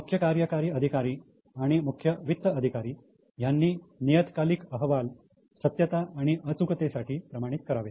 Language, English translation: Marathi, Then CEOs and CFOs must certify the periodic reports for truthfulness and accuracy